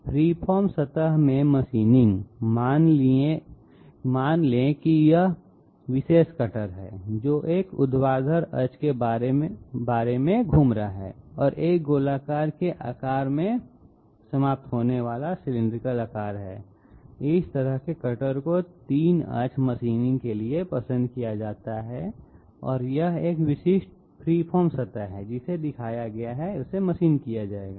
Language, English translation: Hindi, In free form surface machining, suppose this particular cutter which is rotating about a vertical axis and having a cylindrical shape ending in the shape of a sphere, this sort of a cutter is preferred for 3 axis machining and this is a typical free form surface which has been shown which will be machined